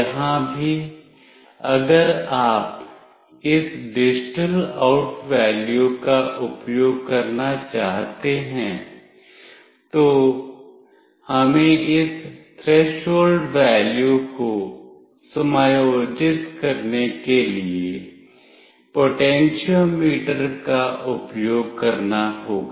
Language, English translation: Hindi, Here also if you want to use the this digital out value, then we have to use the potentiometer to adjust this threshold value